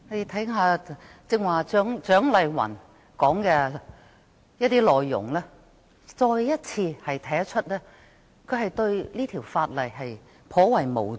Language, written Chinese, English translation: Cantonese, 聽罷剛才蔣麗芸議員的發言內容，便可知道她對這法例頗為無知。, After hearing the speech made by Dr CHIANG Lai - wan we would know how ignorant she was about this legislation